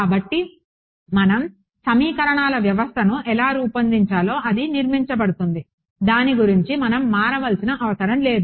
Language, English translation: Telugu, So, that is built into how we formulate the system of equations, we need not vary about it